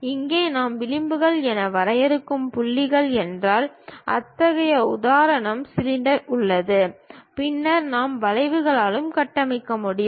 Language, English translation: Tamil, Here we have such an example cylinder, if these are the points what we are defining as edges; then we can construct by arcs also